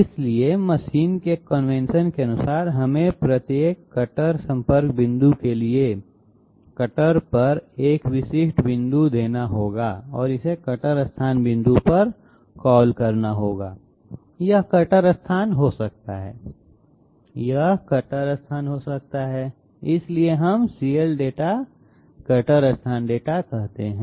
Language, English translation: Hindi, So as per the convention of the machine we have to give a specific point on the cutter for each and every cutter contact point and call it the cutter location point, this can be cutter location, this can be cutter location, like that so that is why we call CLdata cutter location data